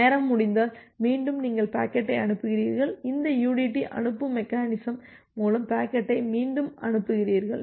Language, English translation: Tamil, If a timeout occurs, then again you send the packet, you retransmit the packet through this udt send mechanism